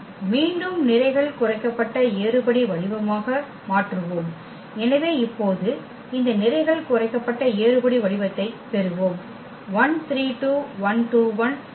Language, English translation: Tamil, And again, we will convert into the row reduced form, so we got this row reduced form now